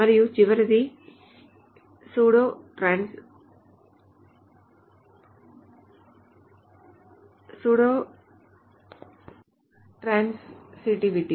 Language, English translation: Telugu, And the last one is pseudo transitivity